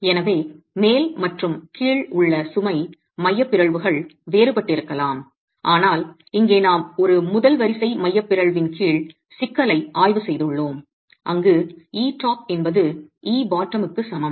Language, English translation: Tamil, So, load eccentricity at the top and bottom can be different but here we have examined the problem under a first order eccentricity where e top is equal to e bottom